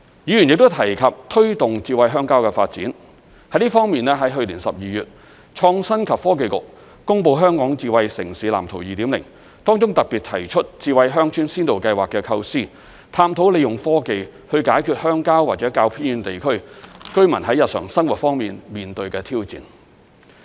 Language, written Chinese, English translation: Cantonese, 議員亦都提及推動"智慧鄉郊"的發展，在這方面，在去年12月，創新及科技局公布《香港智慧城市藍圖 2.0》，當中特別提出智慧鄉村先導計劃的構思，探討利用科技解決鄉郊或較偏遠地區居民在日常生活方面面對的挑戰。, Members also mentioned promoting the development of smart rural areas . In this connection the Innovation and Technology Bureau announced in December last year the second edition of the Smart City Blueprint for Hong Kong . The Blueprint 2.0 puts forth the idea of Smart Village Pilots which explore the use of technology to tackle the challenges faced by people living in rural areas or remote districts in their daily lives